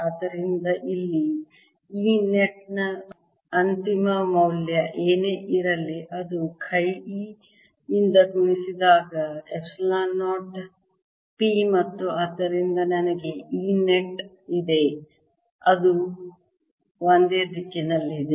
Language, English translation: Kannada, the final value of e out here is that multiplied by chi, e is epsilon zero, is the p and therefore i have e net